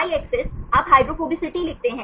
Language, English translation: Hindi, Y axis you write the hydrophobicity